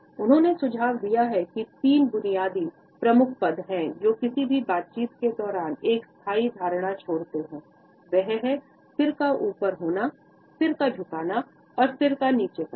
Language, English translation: Hindi, He has suggested that there are three basic head positions, which leave a lasting impression during any interaction and that is the head up, the head tilts and the head down movement